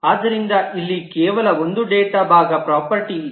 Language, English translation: Kannada, So there is only one data part property here